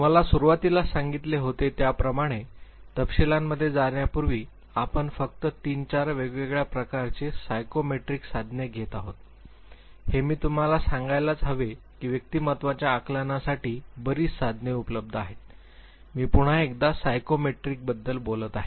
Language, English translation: Marathi, Before we go in to the details as I told you right in the beginning that we would be taking only three four different types of psychometric tools, I must tell you that there are large number of tools available for assessment of personality, I am talking about the psychometrics once